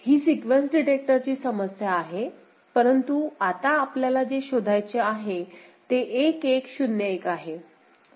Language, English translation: Marathi, So, this is a sequence detector problem on the as we said extension, but it is now what we want to be detected is 1 1 0 1 ok